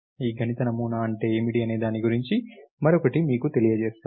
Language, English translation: Telugu, Let me give you one in other realization of this, what is this mathematical model